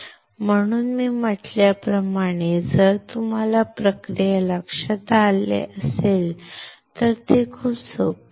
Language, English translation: Marathi, So, like I said it is very easy if you remember the process